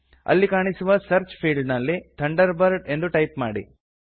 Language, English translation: Kannada, In the Search field, that appears, type Thunderbird